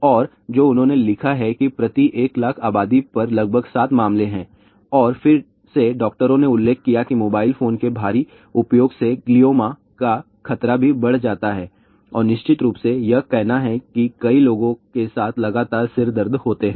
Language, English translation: Hindi, And what they have written that there are about seven cases per one lakh population ok and again the doctors have mentioned that heavy use of mobile phone also increased risk of Glioma , there are of course, saying that frequent headaches are there with several sections of people